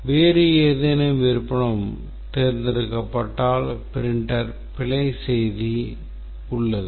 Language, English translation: Tamil, If any other option is chosen, then there is a print error message